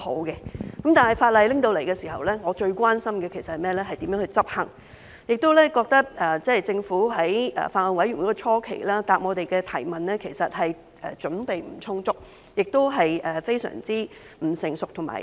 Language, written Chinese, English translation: Cantonese, 不過，在《條例草案》提交時，我最關心的其實是如何執行，而在法案委員會會議初期，我亦感到政府在回答我們的質詢上其實準備不充足，亦非常不成熟和草率。, Actually upon the introduction of the Bill I am most concerned about its implementation . At the earlier meetings of the Bills Committee I felt that the Government was not well - prepared very immature and hasty in answering our questions